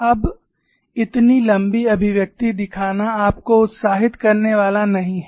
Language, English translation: Hindi, Now showing such a long expression is not going to interest you